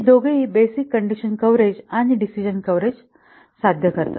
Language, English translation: Marathi, These two will achieve both basic condition coverage and decision coverage